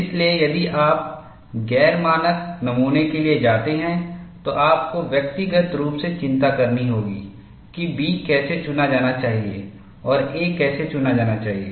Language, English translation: Hindi, So, if you go for non standard specimens, then, you will have to individually worry for how B should be selected and how a should be selected